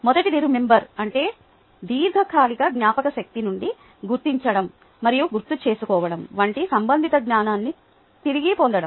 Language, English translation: Telugu, the first one was remember, which essentially means retrieving relevant knowledge from long term memory, such as recognizing and recalling